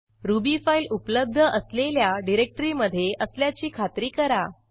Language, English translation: Marathi, Make sure that you are in the directory where your Ruby file is present